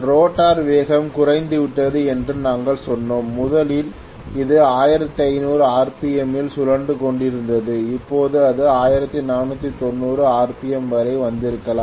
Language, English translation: Tamil, We said that the rotor speed has come down may be originally it was rotating at 1500 RPM now may be it has come down to 1490 RPM